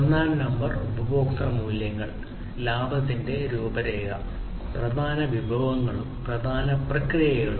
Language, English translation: Malayalam, Number one is the customer values, blueprint of profits; key resources and key processes